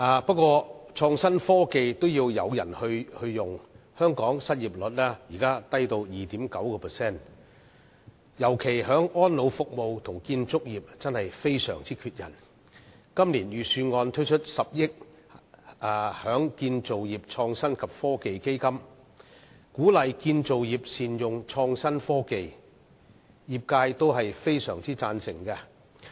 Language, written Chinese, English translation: Cantonese, 不過，創新科技也需要有人運用，香港的失業率現時低至 2.9%， 特別是安老服務和建造業也相當缺人，今年的預算案推出10億元成立建造業創新及科技基金，鼓勵建造業善用創新科技，業界也相當贊成。, The unemployment rate in Hong Kong is as low as 2.9 % at present . The problem of manpower shortage is particularly serious in elderly care services and the construction industry . The Budget this year proposes setting up a 1 billion Construction Innovation and Technology Fund to encourage the industry to utilize innovative technology and the industry very much agrees with this